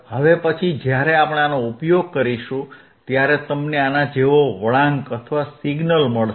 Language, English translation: Gujarati, And then when we use this, you will get a curve orlike this, signal like this,